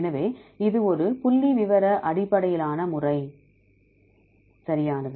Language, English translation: Tamil, So, it is a statistical based method right